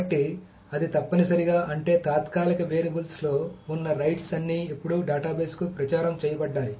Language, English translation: Telugu, So that's essentially that means that all the rights that were in the temporary variables are now actually propagated to the database